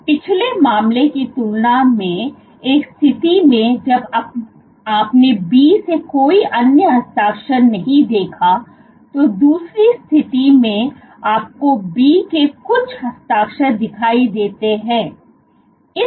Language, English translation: Hindi, So, what you see here, compared to the previous case, when you did not see any other signature from B you see some signature of B appearing